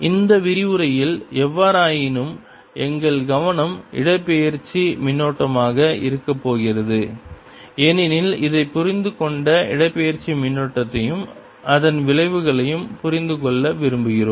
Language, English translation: Tamil, in this lecture, however, our focus is going to be the displacement current, because we want to understand this and understand displacement current and its effects